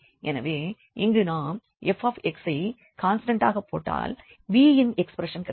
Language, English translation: Tamil, So, if we put this Fc, Fx as a constant, then we got the expression for v